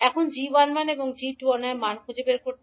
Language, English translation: Bengali, Now, to find out the value of g11 and g21